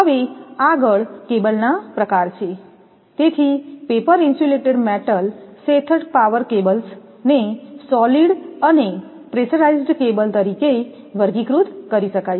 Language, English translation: Gujarati, So, classification of cables; so, paper insulated metal sheathed power cables can be classified as solid and pressurized cable